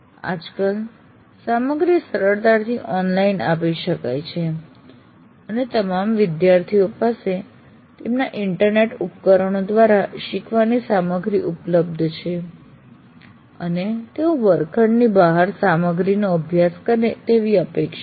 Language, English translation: Gujarati, The content these days can easily be delivered online and all students have access to their devices to get connected to online and they are expected to study the material outside the classroom